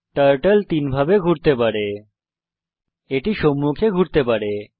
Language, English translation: Bengali, Turtle can do three types of moves: It can move forwards